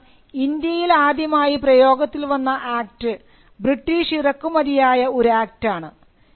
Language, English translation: Malayalam, Because the first act that came around in India was an act that was of a British import